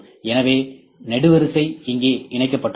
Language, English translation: Tamil, So, this is the column that is attached here